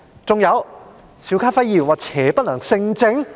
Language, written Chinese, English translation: Cantonese, 還有，邵家輝議員說邪不能勝正？, Besides Mr SHIU Ka - fai said that evil can never prevail good?